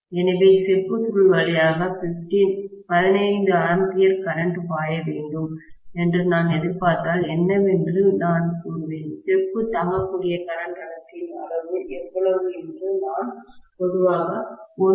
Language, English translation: Tamil, So, if I expect that 15 amperes of current has to flow through my copper coil, I would say what is the amount of current density the copper can withstand, and I will put generally 1